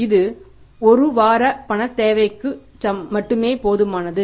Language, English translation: Tamil, That is only sufficient for the one week's cash requirement